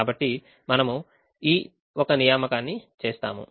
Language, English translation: Telugu, so we make an assignment in this one